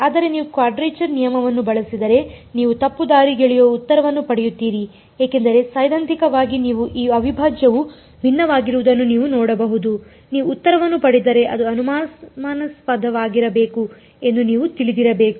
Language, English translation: Kannada, But, as it is if you use a quadrature rule you will get a misleading answer because, theoretically you can see that this integral is divergent you should not you, if you get an answer you should know that it should be suspicious